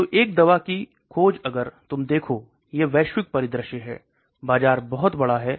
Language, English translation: Hindi, So a drug discovery if you look at it the global scenario, the market is very large